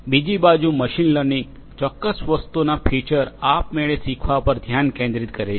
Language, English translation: Gujarati, On the other hand, machine learning focuses on learning automatically from certain object features